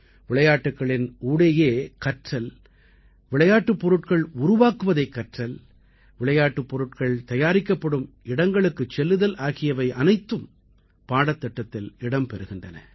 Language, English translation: Tamil, Learning while playing, learning to make toys, visiting toy factories, all these have been made part of the curriculum